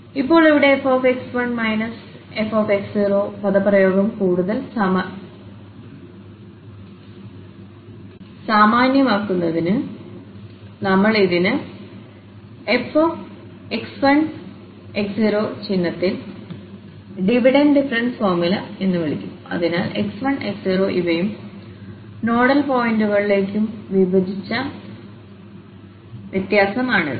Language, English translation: Malayalam, So, now to make it more general this expression here which is f x 1 minus this f x naught over x 1 minus x naught, we are defining this as f x 1 x naught with this symbol which is called the Divided difference formula so, this is the divided difference taking these x 1 and x naught to nodal points